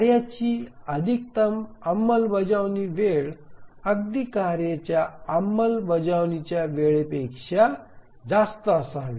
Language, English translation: Marathi, So the maximum execution time of the tasks even that the F should be greater than even the maximum execution time of a task